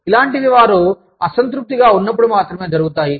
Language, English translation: Telugu, It is only, when they are dissatisfied